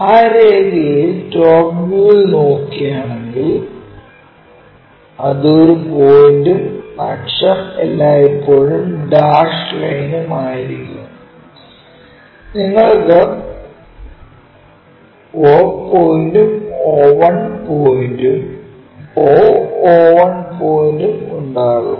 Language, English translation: Malayalam, So, along that line if you are looking in the front view it will be a point and axis always be dashed dot line and you will have o point and o 1 point o o 1 point